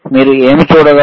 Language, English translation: Telugu, What you will able to see